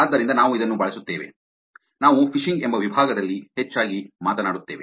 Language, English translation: Kannada, So, this is what we will use this is what we will actually talk about mostly in the section called phishing